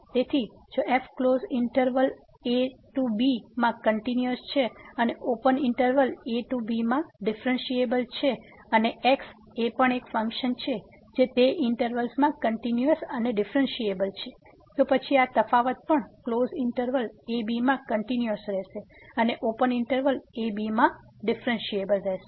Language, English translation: Gujarati, So, if is continuous in the closed interval and differentiable in the open interval and is also a function which is continuous and differentiable in those intervals, then this difference will be also continuous in closed interval and differentiable in the open interval